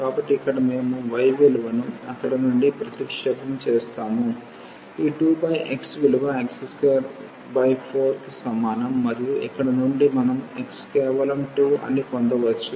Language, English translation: Telugu, So, here we substitute the value of y from there, its a 2 over x 2 over x is equal to x square by 4 and from here we can get that x will be just 2